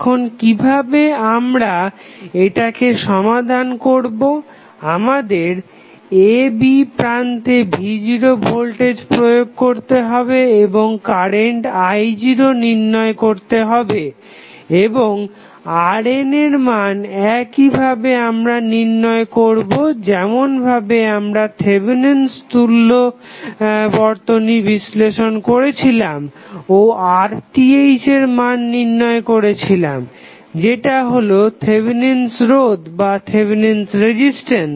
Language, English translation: Bengali, Now, how to solve it, we have to apply voltage V naught at the terminals AB and determine the current I naught and R n is also found in the same way as we analyzed the Thevenin's equivalent and found the value of RTH that is Thevenin's resistance